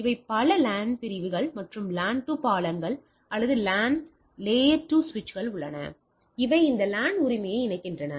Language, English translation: Tamil, So, there are these are several LAN segments, LAN segments and we have layer 2 bridges or layer 2 switches which connect this LAN right